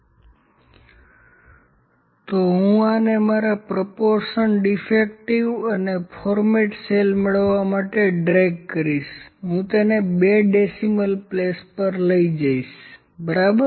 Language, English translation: Gujarati, So, I will just drag this to get my proportion defective and format cells, I will bring it to two places of decimal, ok